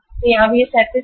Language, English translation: Hindi, So here also it is 37